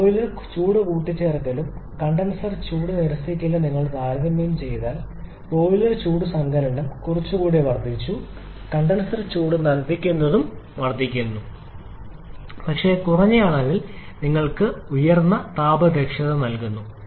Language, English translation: Malayalam, If you compare the boiler heat addition and condenser heat rejection wall any tradition has increased quite a bit condenser heat reaction is also increased but to a lesser amount degree giving you a higher increasing the thermal efficiency